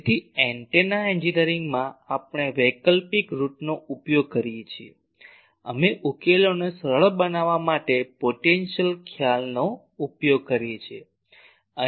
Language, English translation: Gujarati, So, in antenna engineering we uses alternative route, we use the concept of potentials to simplify the solution